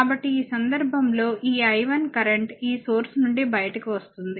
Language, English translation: Telugu, So, in this case if you see that this I 1 current is coming out from this source